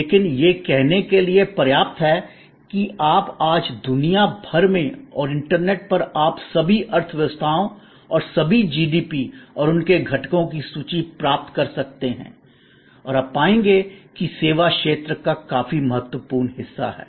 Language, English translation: Hindi, But, suffice it to say that you take any economy around the world today and on the internet, you can get list of all economies and all the GDP's and their components and you will find substantial significant part comes from the service sector